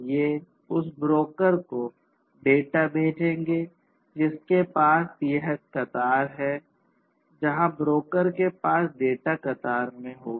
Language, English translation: Hindi, These will send the data to the broker which has this queue, where the data will be queued at the broker